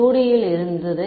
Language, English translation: Tamil, This was in 2D